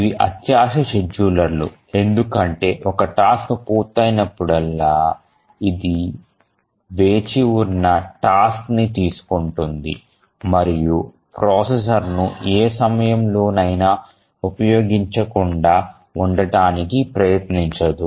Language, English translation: Telugu, These are grid schedulers because whenever a task completes it takes up the task that are waiting and it never tries to leave any time the processor onutilized